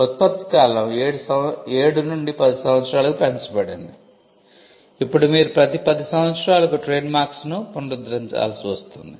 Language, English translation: Telugu, The period of production was enhanced from 7 to 10 years, now you had to renew a trademark every 10 years earlier it was 7 years